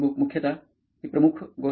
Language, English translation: Marathi, Mostly, that is predominant thing